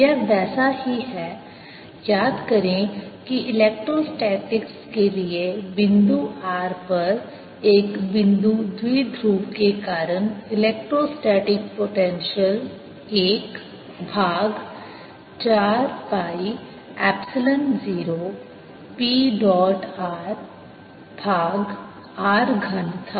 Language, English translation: Hindi, this is similar to recall that for a, an electrostatics, the electrostatic potential at r due to a point dipole sitting at the origin was four pi one over four pi epsilon zero p dot r over r cubed